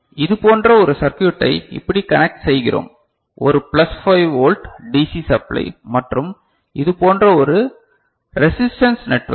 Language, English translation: Tamil, And we connect a circuit like this a plus 5 volt dc supply and a resistance you know, network like this